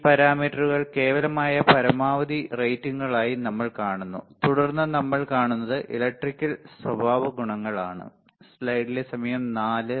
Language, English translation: Malayalam, So, we see this parameters as absolute maximum ratings, then what we see then we see Electrical Characteristics ok